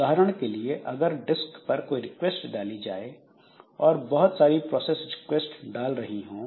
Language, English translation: Hindi, So, for example, maybe there are requests to the disk and there are many processes which are requesting to the disk